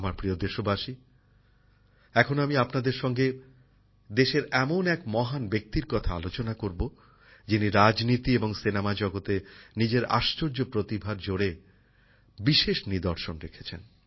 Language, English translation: Bengali, My dear countrymen, I am now going to discuss with you about a great personality of the country who left an indelible mark through the the strength of his amazing talent in politics and the film industry